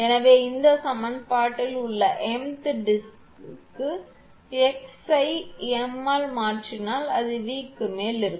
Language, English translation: Tamil, So, for m th disk in this equation you replace x by m, it will be V m upon V